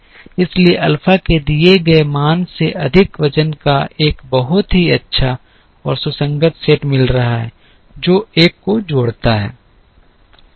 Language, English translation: Hindi, So, over a given value of alpha we seem to be getting a very nice and consistent set of weights which also add up to one